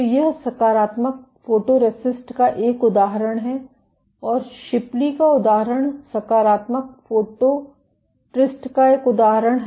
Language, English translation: Hindi, So, this is an example of positive photoresist and example is Shipley 1813 is an example of positive photoresist